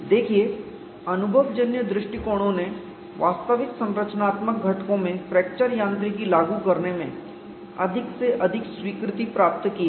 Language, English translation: Hindi, See the empirical approaches have found rated acceptance in applying fracture mechanics to actual structure components